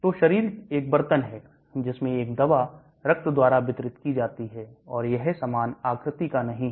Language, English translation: Hindi, So the body is a vessel in which a drug is distributed by blood and it is not homogeneous